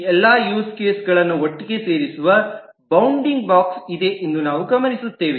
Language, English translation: Kannada, We observe that there is a bounding box that puts all this use cases together